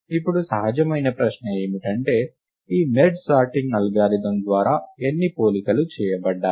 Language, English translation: Telugu, A natural question now, is how many comparisons are made by this merge sort algorithm